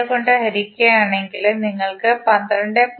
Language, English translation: Malayalam, 632, you will get current as 12